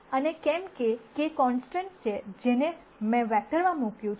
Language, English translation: Gujarati, And since there are k constants, which I have put in a vector